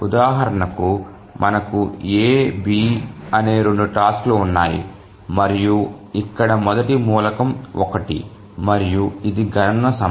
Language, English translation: Telugu, The first example, we have two tasks, A, B, and the first element here is one, is the computation time